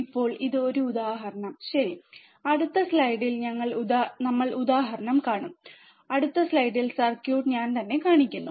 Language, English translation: Malayalam, Now this is just just an example ok, we will see example in the next slide, circuit in the next slide just I am showing